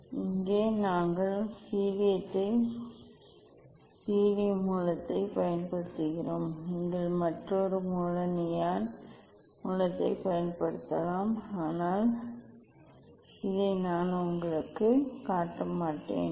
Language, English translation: Tamil, here we are using helium source, you can use another source neon source but, I will not show you this one